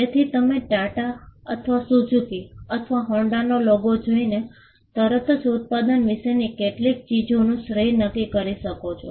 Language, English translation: Gujarati, So, you could see the logo of say Tata or Suzuki or Honda and you can immediately attribute certain things about the product by just looking at the logo